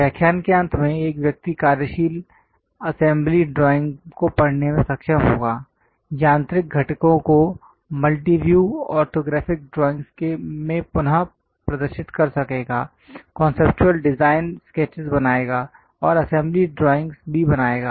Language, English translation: Hindi, At the end of the lectures, one would be able to read a working assembly drawing, represent mechanical components in multiview orthographics, create conceptual design sketches, and also create assembly drawings